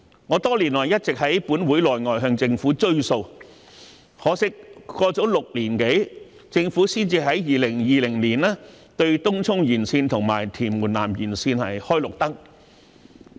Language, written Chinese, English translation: Cantonese, 我多年來一直在立法會內外向政府"追數"，可惜，過了6年多，政府才在2020年對東涌綫延綫和屯門南延綫"開綠燈"。, For many years I have been pressing the Government both inside and outside the Legislative Council for honouring its commitments . Regrettably it took six years for the Government gave a green light to the Tung Chung West Extension and the Tuen Mun South Extension in 2020